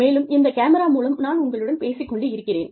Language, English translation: Tamil, And, I am talking to you, through this camera